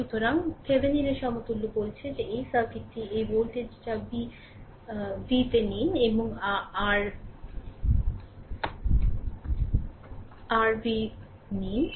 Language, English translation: Bengali, So, its Thevenin’s equivalent says that this circuit that this voltage that v Thevenin and R Thevenin right